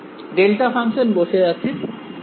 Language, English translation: Bengali, Is the delta function sitting at r minus r prime